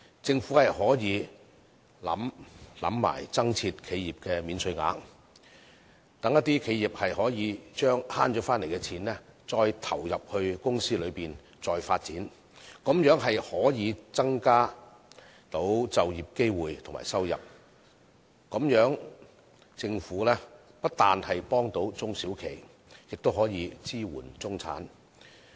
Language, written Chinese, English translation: Cantonese, 政府可考慮增設企業免稅額，讓企業把省回來的金錢投入公司再作發展，這樣便可以增加就業機會和收入，那麼政府不單可幫助中小企，更可支援中產。, The Government can consider introducing enterprise allowances so that enterprises can plough back the tax - savings for further development . This can in return create more job opportunities and increase income . In this way the Government can offer assistance to SMEs and also give support to the middle class